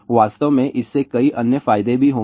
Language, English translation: Hindi, In fact, this will lead to several other advantages also